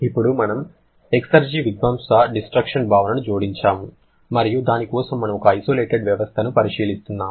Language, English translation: Telugu, Now, we added the concept of exergy destruction and for which we are considering an isolated system